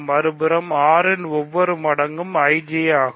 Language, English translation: Tamil, On the other hand, every multiple of 6 is in IJ